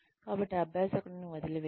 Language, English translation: Telugu, So do not abandon the learner